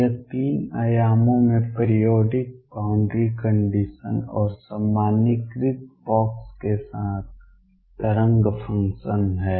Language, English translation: Hindi, This is the wave function in 3 dimensions with periodic boundary conditions and box normalized